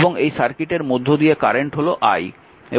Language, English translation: Bengali, And suppose current is flowing through this is i, right